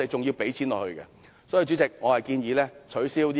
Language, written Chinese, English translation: Cantonese, 因此，主席，我建議取消這項撥款。, Hence Chairman I propose withdrawing such funding